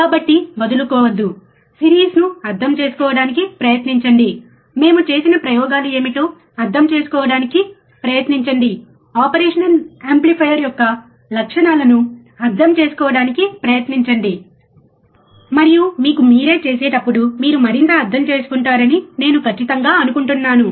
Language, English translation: Telugu, So, do not give up, try to understand the series, try to understand what experiments we have done, try to understand the characteristics of the operational amplifier, and I am sure that you will understand more when you do it by yourself, alright